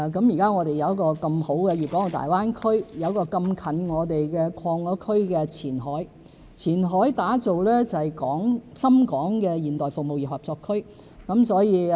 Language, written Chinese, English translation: Cantonese, 現在我們有這麼好的粵港澳大灣區，有這麼近的已擴區的前海，前海打造的是深港現代服務業合作區。, At present we have a wonderful Guangdong - Hong Kong - Macao Greater Bay Area GBA and we are so close to Qianhai which has been expanded to create the Qianhai Shenzhen - Hong Kong Modern Service Industry Co - operation Zone